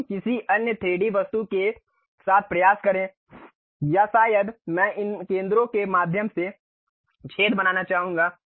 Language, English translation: Hindi, So, let us try with some other 3D object or perhaps I would like to make holes through these centers